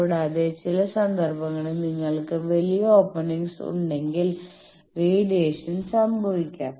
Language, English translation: Malayalam, Also in some cases, if you have large openings radiation may takes place